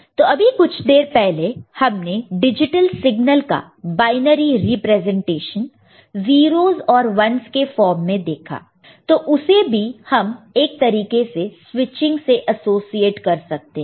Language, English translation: Hindi, And just now we have seen the binary representations of digital signals in the form of 0s and 1s, that is also can be you know in that sense associated with switching